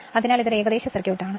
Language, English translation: Malayalam, So, this is your approximate circuit